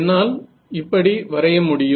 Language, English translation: Tamil, So, I can draw like this